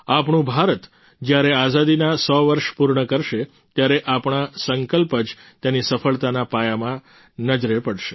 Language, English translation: Gujarati, When India completes one hundred years of Independence, then only these resolutions of ours will be seen in the foundation of its successes